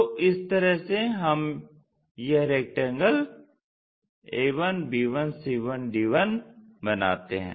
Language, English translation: Hindi, So, in that way we can construct this rectangle